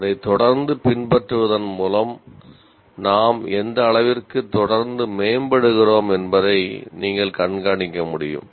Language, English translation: Tamil, By following it consistently, we will be able to keep track of to what extent we are continuously improving